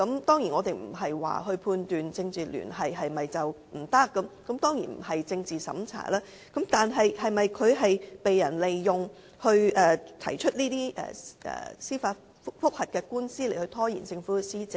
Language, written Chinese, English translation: Cantonese, 當然，我們不是不容許有政治聯繫，當然也不是政治審查，但他是否被人利用提出這些司法覆核，藉此拖延政府施政呢？, Of course we do not mean to forbid political affiliations and this is certainly not political censorship . However when lodging these judicial reviews is he being exploited by some people with the purpose of delaying policy implementation by the Government?